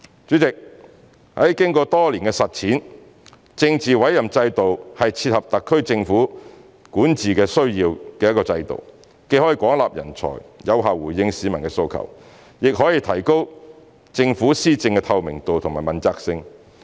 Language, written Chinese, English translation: Cantonese, 主席，經過多年的實踐，政治委任制度是一個切合特區管治需要的制度，既可廣納人才、有效回應市民的訴求，亦可提高政府施政的透明度和問責性。, President after many years of implementation the political appointment system has been a system that meets the governance needs of HKSAR . Not only can it recruit a wide pool of talents to meet public aspirations effectively but it can also enhance the transparency and accountability of policy implementation